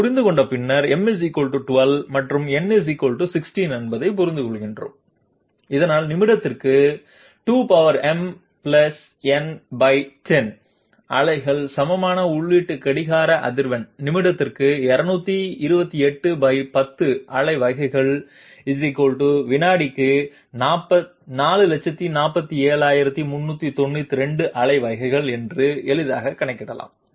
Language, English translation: Tamil, Having understood that, we understand that m = 12 and n = 16 so that the input clock frequency which is equal to 2 to the power m + n divided by 10 pulses per minute, we can easily compute it to be 2 to the power 28 divided by 10 pulses per minute = 447392 pulses per second